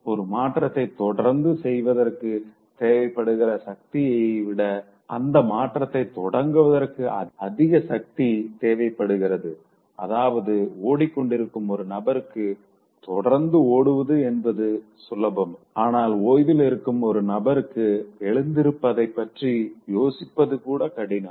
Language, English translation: Tamil, So you will need greater forces to initiate change in the body than to maintain change which means when somebody is running it's easy for the person to run or continue running and when somebody is taking rest, it's rather much difficult for the person to even think of getting up